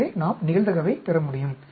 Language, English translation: Tamil, So, we can get the probability